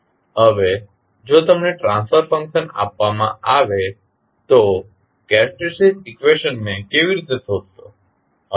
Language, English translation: Gujarati, Now, if you are given the transfer function, how to find the characteristic equation